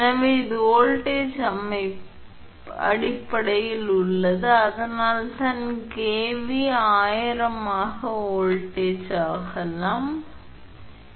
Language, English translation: Tamil, So, and this is in terms of volt, so that is why kV that is why it is may be volt so into 1000 that is 10 to the power 3, so this actually become 8